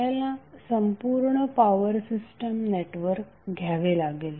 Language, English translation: Marathi, you have to take the complete power system network